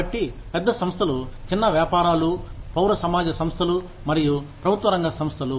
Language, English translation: Telugu, So, large corporations, small businesses, civil society organizations, and public sector organizations